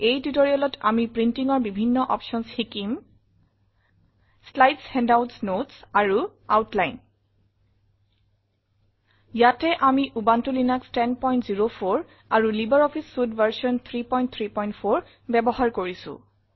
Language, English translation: Assamese, In this tutorial we will learn about the various options for printing Slides Handouts Notes and Outline Here we are using Ubuntu Linux 10.04 and LibreOffice Suite version 3.3.4